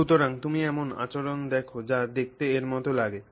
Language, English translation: Bengali, You will see a behavior that looks like that